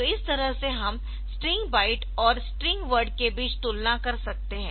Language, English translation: Hindi, So, this way we can compare between byte string byte or string word